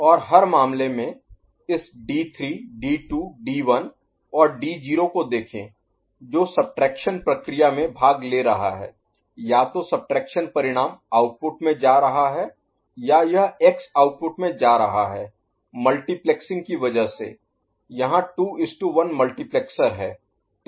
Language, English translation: Hindi, And in every case see this d3 d2 d1 and d naught ok, that is participating in the subtraction process either the subtraction result is going to the output or this x is going to the output because of the multiplexing 2 to 1 multiplexer it is there